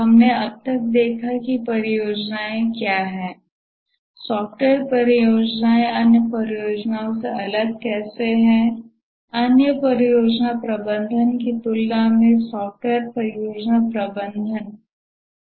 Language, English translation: Hindi, We have so far looked at what are the projects, how is the software projects differed from other projects, why is software project management difficult compared to other project management